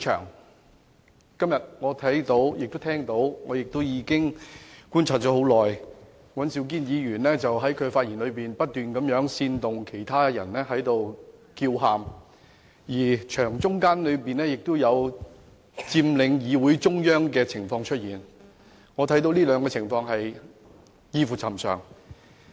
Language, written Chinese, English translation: Cantonese, 我今天看到和聽到，並已觀察了一段很長時間，尹兆堅議員在發言中不停煽動其他議員叫喊，而且有議員佔領會議廳中央，我認為這兩種情況異於尋常。, I have seen and heard today after a long period of observation that Mr Andrew WAN kept inciting other Members to shout in the course of his speech . Besides some Members have occupied the floor in the middle of the Chamber . I find both situations most abnormal